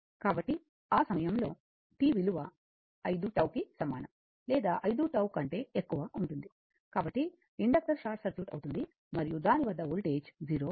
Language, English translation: Telugu, So, at that time t greater than equal to 5 tau, so, inductor becomes a short circuit and the voltage across it is 0, right